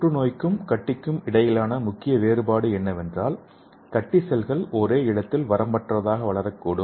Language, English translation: Tamil, So the main difference between the cancer and tumor is, the tumor cells are localized and it grow undefinitely okay